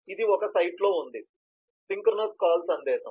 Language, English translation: Telugu, this is on one site, synchronous call message